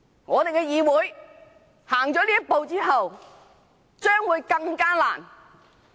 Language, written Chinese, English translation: Cantonese, 我們的議會走出這一步，以後將會面對更大困難。, If we take this step in the legislature we will face even greater difficulties in the future